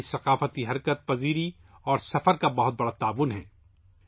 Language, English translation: Urdu, Our cultural mobility and travels have contributed a lot in this